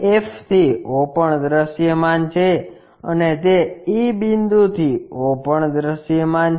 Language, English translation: Gujarati, f to o also visible and that e point to o also visible